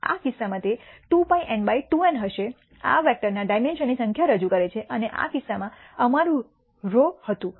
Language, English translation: Gujarati, In this case it will be 2 pi n by 2 n represents number of dimension of this vector and we had sigma in this case